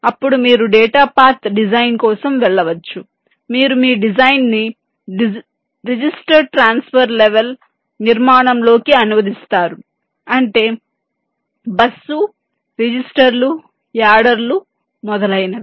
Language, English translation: Telugu, then you go for data path design, where do you translate your design into a register transfer level architecture, bus registers, adders, etcetera